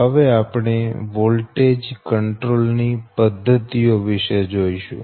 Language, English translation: Gujarati, now we will come for that method of voltage control, right